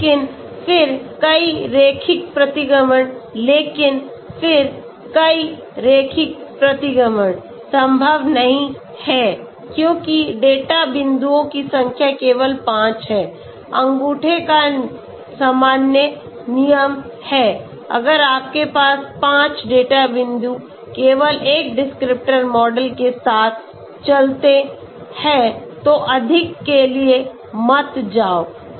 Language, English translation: Hindi, pKi = ao + a1 But then multiple linear regression but then multiple linear regression is not possible because the number of data points is only 5, general rule of thumb is if you have 5 data points go with only one descriptor model, do not go for more